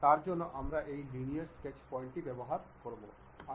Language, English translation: Bengali, For that we use this Linear Sketch Pattern